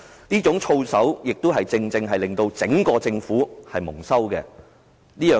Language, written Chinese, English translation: Cantonese, 這種操守亦令整個政府蒙羞。, This conduct has brought shame to the Government as a whole